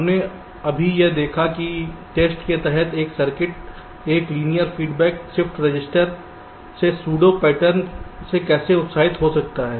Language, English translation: Hindi, we have so far seen that how a circuit under test can be excited with pseudo random patterns from a linear feedback shift register